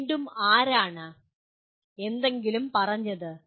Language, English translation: Malayalam, Again, who was it that who stated something …